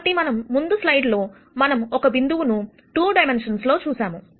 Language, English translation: Telugu, So, in the previous slide we saw one point in 2 dimensions